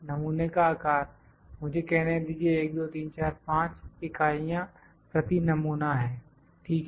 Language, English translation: Hindi, Sample size a let me say this is 1, 2, 3, 4, 5 units per sample, ok